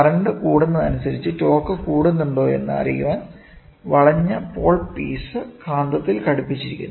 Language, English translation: Malayalam, The curved pole piece is then attached to the magnet to ascertain if the torque increases as the current increases